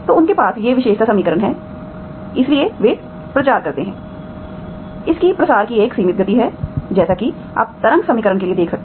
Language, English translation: Hindi, So they have, these are the characteristic equations, so whenever they have, so they propagate, it has a finite speed of propagation as you can see for the wave equation